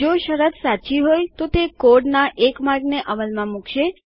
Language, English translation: Gujarati, If the condition is True, it executes one path of code